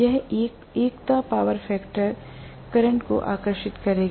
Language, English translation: Hindi, It will draw a unity power factor current